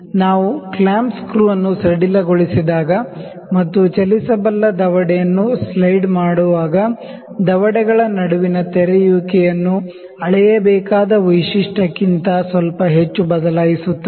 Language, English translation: Kannada, It is when we loosen the clamping screw and slide the moveable jaw, altering the opening between the jaws slightly more than the feature to be measured